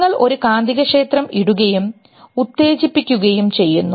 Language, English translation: Malayalam, You put a magnetic field and stimulated